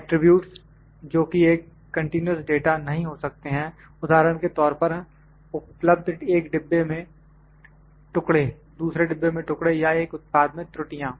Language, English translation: Hindi, Attributes that cannot be continuous data for instance number of pieces in a box pieces in a box pieces in a second box, so or the defects in a product may be available